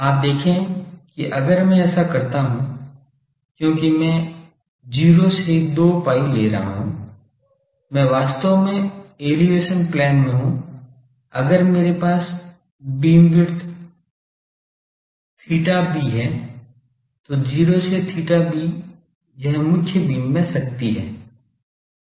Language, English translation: Hindi, You see if I do this since I am taking from 0 to 2 pi, I am actually in elevation plane if I have a beamwidth theta b then 0 to theta b this is the power in the main beam